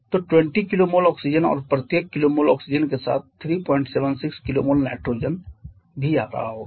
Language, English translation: Hindi, So, 20 kilo mole of oxygen and with each kilo mole of oxygen 3